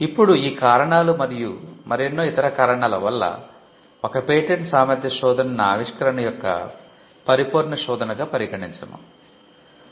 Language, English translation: Telugu, Now for this and for many more reasons we do not consider a search to be a perfect reflection of patentability of our invention